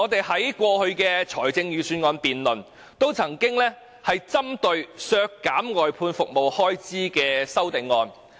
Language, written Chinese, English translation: Cantonese, 在過去的預算案辯論中，我們也曾提出針對削減外判服務開支的修正案。, In the last Budget debate we proposed an amendment to cut expenditures on outsourced services